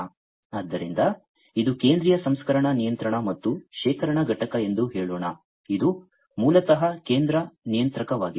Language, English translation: Kannada, So, let us say that this is the central processing controlling and storage unit, which is basically the central controller